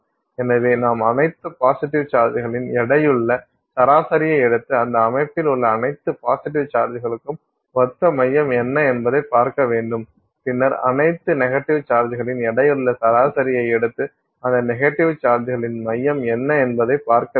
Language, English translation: Tamil, So, you take a weighted average of all the positive charges and see what is the center corresponding to all the positive charges that exist in that system and then take the weighted average of all the negative charges and see what is the center of that negative charges